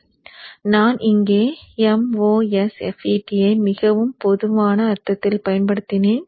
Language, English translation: Tamil, So I have used a masphet here in a more generic sense